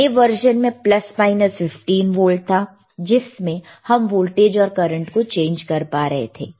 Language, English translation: Hindi, iIn thea newer version, there was plus minus 15 volts, you can change the voltage you can change the and current